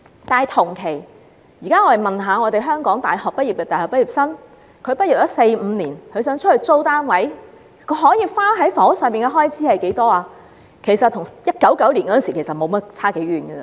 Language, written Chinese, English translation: Cantonese, 但是，假如我們現在問問香港的大學畢業生，在畢業四五年後若想在外租住單位，他們有能力花費多少在房屋開支，他們的答案其實與1999年時相差無幾。, However if local university graduates who have graduated for four or five years are now asked about their housing affordability their answer will be similar to that of the graduates in 1999